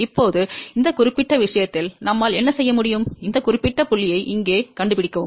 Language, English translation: Tamil, Now, in this particular case, what we can do that we can locate this particular point over here